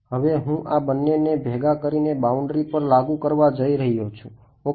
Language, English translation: Gujarati, Now I am going to put these two together and impose this boundary condition ok